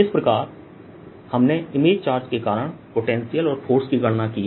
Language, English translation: Hindi, so we've we, we we have calculated the potential and the force on the charge due to the image charge